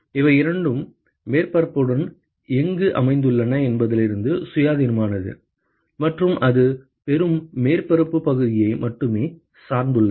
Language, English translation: Tamil, It is independent of where these two are located along the surface and not just that it depends only on the receiving surface area